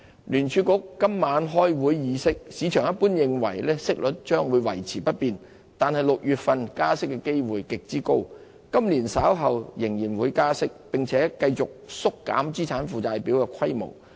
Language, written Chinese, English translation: Cantonese, 聯儲局今晚開會議息，市場一般認為息率將維持不變，但6月加息的機會極高，今年稍後仍會加息，並繼續縮減資產負債表的規模。, Though the markets expect the Federal Reserve will leave interest rate unchanged tonight when it holds its meeting on monetary policy the chance of a rate hike in June is overwhelmingly high with further tightening later this year and continual reductions of the Federal Reserves balance sheet holding on the cards